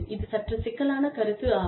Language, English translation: Tamil, This is slightly complicated concept